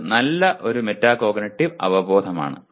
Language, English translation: Malayalam, That is good metacognitive awareness